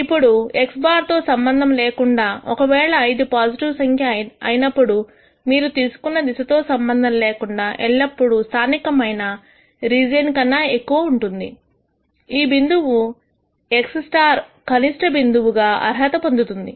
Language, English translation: Telugu, Now, irrespective of this x bar, if this is a positive number then we can say irrespective of whatever direction you take this will always be greater than this in the local region which would qualify this point x star as a minimum point